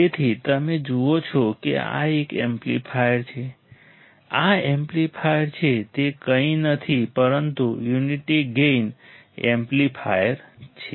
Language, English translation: Gujarati, So, you see this is an amplifier this is amplifier, it is nothing, but unity gain amplifier